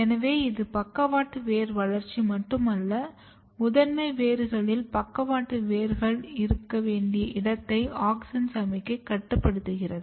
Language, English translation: Tamil, So, it is not only the lateral root development, but where in the primary roots lateral roots has to be that is also regulated by auxin signalling